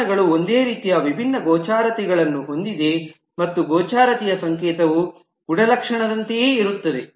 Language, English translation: Kannada, Methods have similarly different visibilities and the visibility notation is same as of the attribute